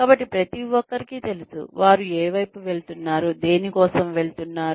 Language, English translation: Telugu, So, everybody knows, what they are heading towards, what the organization is heading towards